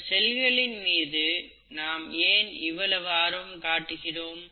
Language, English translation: Tamil, Why are we so interested in this cell